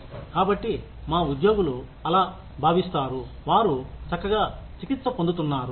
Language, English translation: Telugu, So, that our employees feel that, they are being treated fairly